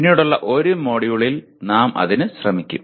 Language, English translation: Malayalam, That we will attempt at a/in a later module